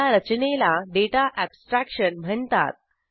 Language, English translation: Marathi, This mechanism is called as Data abstraction